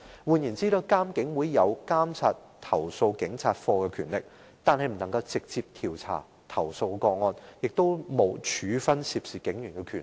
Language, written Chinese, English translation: Cantonese, 換言之，監警會擁有監察投訴警察課的權力，但卻不能直接調查投訴個案，亦無處分涉事警員的權力。, In other words IPCC merely has the authority to oversee CAPO but not to conduct direct investigation into any complaint or impose punishment on police officers concerned